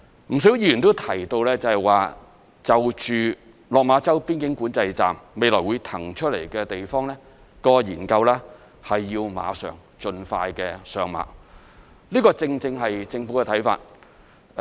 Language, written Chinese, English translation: Cantonese, 不少議員都提到，就落馬洲邊境管制站未來會騰出來的地方的研究要馬上、盡快上馬，這正正是政府的看法。, A number of Members have mentioned that the study on the site to be vacated following the redevelopment of the Lok Ma Chau Boundary Control Point should be conducted as soon as possible so that the project can be commenced without any delay . This is exactly the Governments view